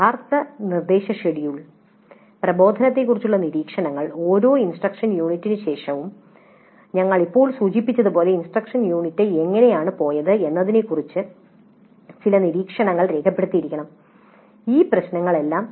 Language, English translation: Malayalam, Then the actual instructions schedule, then observations on instruction, as we just now after every instructional unit we must have some observations recorded regarding how the instruction unit went and all these issues